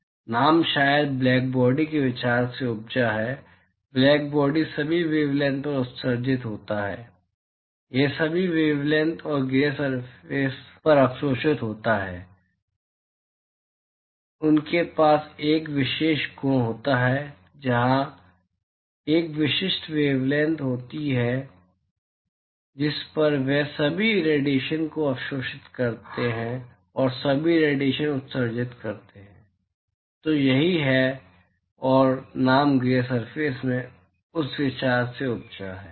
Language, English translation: Hindi, And in fact, the name probably stems from the idea of blackbody, blackbody emits at all wavelengths, it absorbs at all wavelengths and gray surfaces they have a special property where there is a specific wavelength at which they absorb all irradiation and emit all irradiation, so that is what and the name gray actually stems from that idea